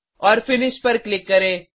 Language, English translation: Hindi, And Click on Finish